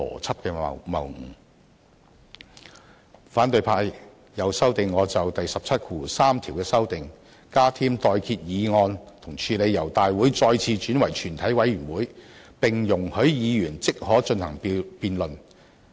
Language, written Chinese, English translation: Cantonese, 此外，反對派又修正我就第173條作出的修訂，加添"待決議案"來處理由立法會大會再次轉為全委會的情況，並容許議員即可進行辯論。, Furthermore an opposition Member also amends my proposal on Rule 173 by adding the words propose a question to deal with the situation where the Council shall again resolve itself into committee and allow a debate to take place immediately